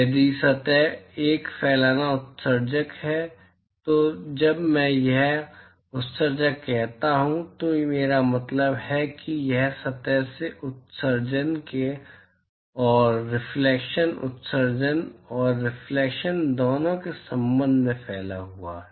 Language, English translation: Hindi, If the surface is a diffuse emitter, so when I say emitter here I mean it is diffused with respect to both the emission from its surface plus the reflection emission plus reflection all right